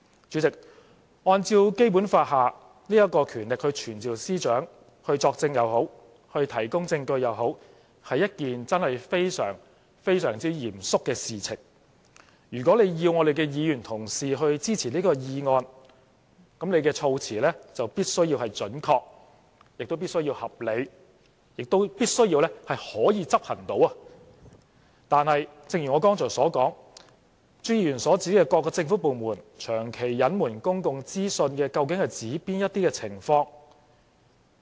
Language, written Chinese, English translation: Cantonese, 主席，按照《基本法》有關權力傳召司長，不論是作證或提供證據，都真正是非常、非常嚴肅的事情，如果要議員同事支持這項議案，朱議員的措辭必須準確、合理，而且必須是可以執行，但正如我剛才所說，朱議員所指的"各政府部門長期隱瞞公共資訊"，究竟是指哪些情況？, President it is a very very solemn matter indeed to summon the Secretary in accordance with the powers stipulated by the Basic Law whether to testify or give evidence . For Members to support this motion Mr CHUs wording must be precise reasonable and practicable . However as I have just said what exactly are the circumstances referred to by Mr CHU when he talked about the persistent withholding of public information by government departments?